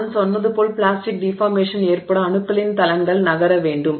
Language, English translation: Tamil, So, for the plastic deformation to occur as I said, atoms or planes of atoms have to move